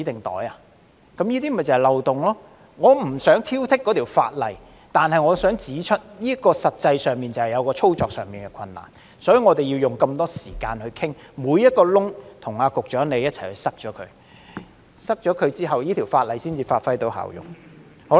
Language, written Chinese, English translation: Cantonese, 我不想挑剔這項法例，但我想指出這些實際上的操作困難，所以我們要花那麼多時間討論，與局長一起堵塞每個漏洞，這樣法例才能發揮效用。, I do not want to pick on this piece of legislation but I have to point out the practical difficulties in operation . For this reason we have spent a lot of time to discuss and work with the Secretary to plug each and every loophole for the legislation to serve its purpose effectively